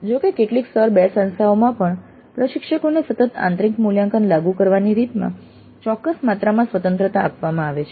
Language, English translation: Gujarati, However, in some Tire 2 institutes also, instructors are given certain amount of freedom in the way the continuous internal evaluation is implemented